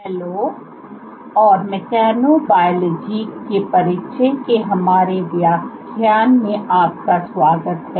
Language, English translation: Hindi, Hello, and welcome to our lecture of Introduction to Mechanobiology